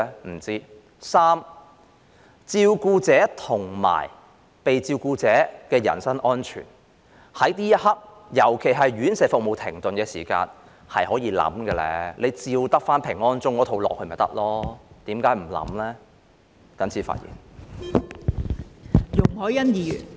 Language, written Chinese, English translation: Cantonese, 不知道；第三，照顧者和被照顧者的人身安全，在這一刻，尤其是院舍服務停頓期間，是可以考慮的，照抄平安鐘那一套便可以，為何不考慮呢？, I do not know . Third it is the personal safety of carers and the care recipients . At this time particularly when the services of RCHs are suspended this is worthy of consideration